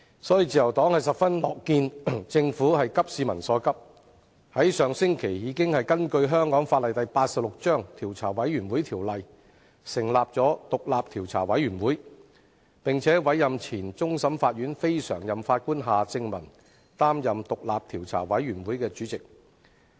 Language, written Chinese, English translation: Cantonese, 所以，自由黨十分樂見政府急市民所急，在上星期根據香港法例第86章《調查委員會條例》，成立獨立調查委員會，並委任前終審法院非常任法官夏正民擔任調查委員會主席。, As such the Liberal Party is pleased to see that the Government shared peoples concerns by setting up an independent commission of inquiry last week under the Commissions of Inquiry Ordinance Cap . 86 and appointing Mr Michael John HARTMANN former Non - Permanent Judge of the Court of Final Appeal as the Chairman of the Commission of Inquiry